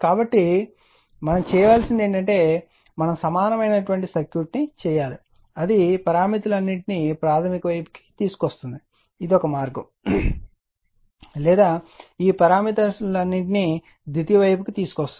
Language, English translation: Telugu, So, now, what we have to do is we have to make an equivalent circuit either it will bring either you bring all this parameters all this parameters to the primary side this is one way or you bring all these parameters to the secondary side either of this